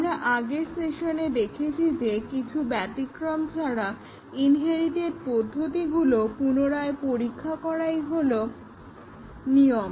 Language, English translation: Bengali, We had seen in the last session that retesting of the inherited methods is the rule rather than exception